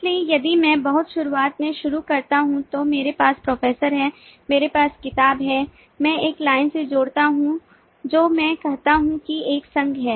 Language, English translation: Hindi, so if i start the very being, then i have professor, i have book, i join a line, i say there is an association